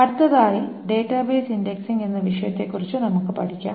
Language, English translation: Malayalam, So, we will start on the next topic which is on database indexing